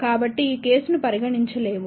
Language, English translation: Telugu, So, this case cannot be considered